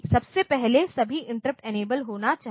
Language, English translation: Hindi, So, from the first of all the interrupt should be enabled